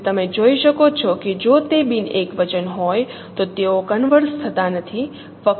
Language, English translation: Gujarati, So you can see that if it is non singular then they are not converging